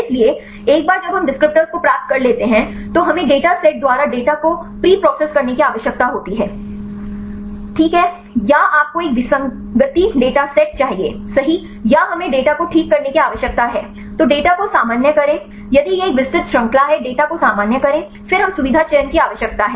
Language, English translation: Hindi, So, once we derive the descriptors, then we need to preprocess the data by the data set is fine or you need a discrepancy data set right or we need to standardize a data right then the normalize the data, if it is a wide range near the normalize the data then we need the feature selection